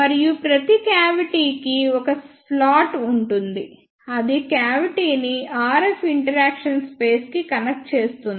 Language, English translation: Telugu, And for each cavity there is a slot which connects the cavity to the RF interaction space